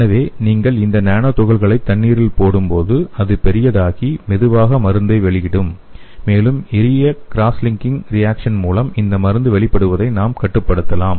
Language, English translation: Tamil, So when you put this nano particle into water so it will swell and it will release the drug slowly, and we can control the release of this drug by simple cross linking reaction